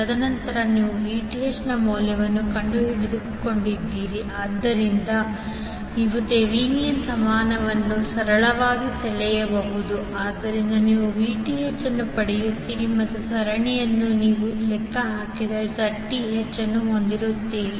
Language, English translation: Kannada, And then you have found the value of Vth so you can simply draw the Thevenin equivalent so you will get Vth and in series you will have Zth which you have calculated